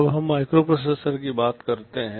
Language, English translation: Hindi, Let us now come to a microprocessor